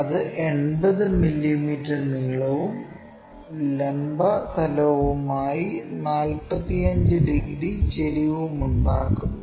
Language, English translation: Malayalam, So, true length is 80 mm and it makes 45 degrees inclination with the vertical plane